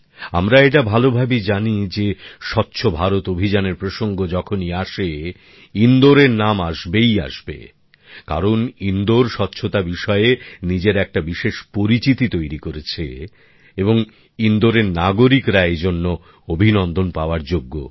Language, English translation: Bengali, We know very well that whenever the topic Swachh Bharat Abhiyan comes up, the name of Indore also arises because Indore has created a special identity of its own in relation to cleanliness and the people of Indore are also entitled to felicitations